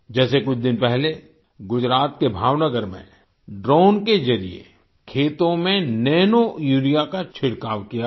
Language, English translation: Hindi, Like a few days ago, nanourea was sprayed in the fields through drones in Bhavnagar, Gujarat